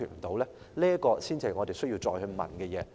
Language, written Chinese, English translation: Cantonese, 這才是我們需要再問的事。, This is exactly what we need to question again